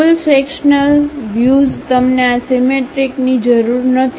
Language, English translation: Gujarati, Full sectional view you do not require this symmetry